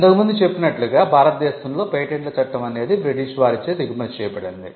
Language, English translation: Telugu, As we mentioned before, the patents act in India came as a British import